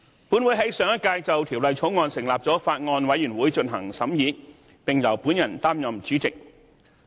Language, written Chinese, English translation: Cantonese, 本會在上屆就《條例草案》成立了法案委員會進行審議，並由我擔任主席。, A Bills Committee chaired by me was established in the last term of this Council for scrutiny of the Bill